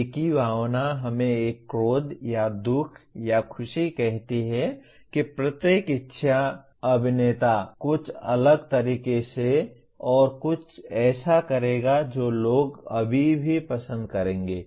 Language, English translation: Hindi, The same emotion let us say an anger or sadness or happiness each good actor will emote in a somewhat different way and something that people will still like